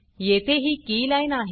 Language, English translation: Marathi, Here, the keyline is this